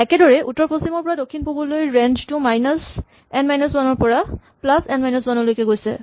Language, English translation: Assamese, Now, similarly for the north west to south east the range goes from minus N minus minus N minus 1 to plus N minus 1